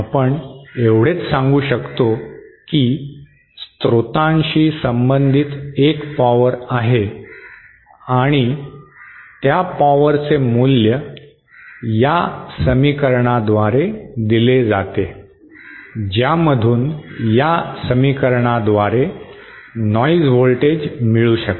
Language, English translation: Marathi, All we can say is that there is a power associated with the source and that power value is given by this equation from which this equivalent noise voltage is given by this equation